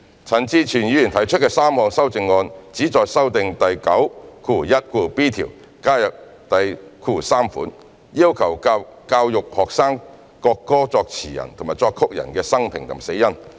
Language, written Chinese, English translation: Cantonese, 陳志全議員提出的3項修正案旨在修訂第 91b 條，加入第節，要求教育學生國歌作詞人及作曲人的生平及死因。, Mr CHAN Chi - chuen put forth three amendments seeking to amend clause 91b by adding subsection iii to require educating students on the biography and cause of death of the lyricist and composer of the national anthem